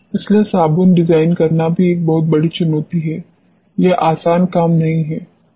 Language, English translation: Hindi, So, designing a soap also is a very big challenge it is not a easy task